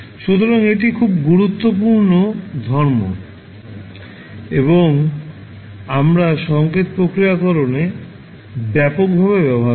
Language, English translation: Bengali, So, this is very important property and we use extensively in the signal processing